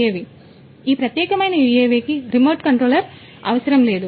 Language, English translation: Telugu, So, this particular UAV does not need any remote control